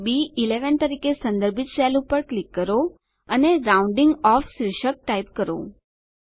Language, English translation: Gujarati, Now, click on the cell referenced as B11 and type the heading ROUNDING OFF